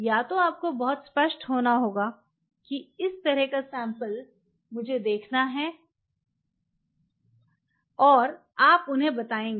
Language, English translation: Hindi, Either you have to be up front very clear that this is the kind of sample I have to visualize and you convert them